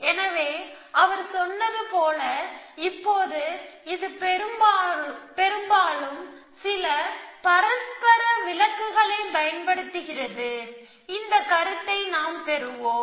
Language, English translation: Tamil, So, as he told with, now this is an often use term some mutual exclusion essentially, so we will have this notion of